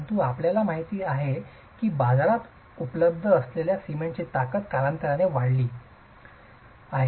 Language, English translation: Marathi, But as you know, the strength of cement has what is available in the market increased over time